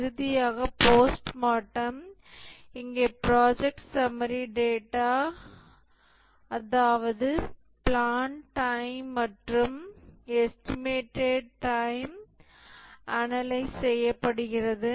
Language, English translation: Tamil, And finally the post mortem where the project summary data, that is the planned time and the estimated time are analyzed and then the observations are written down post mortem